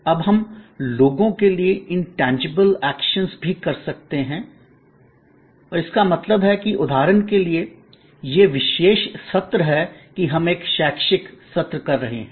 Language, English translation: Hindi, Now, we can have also intangible actions and meant for people and that will be like for example, this particular session that we are having an educational session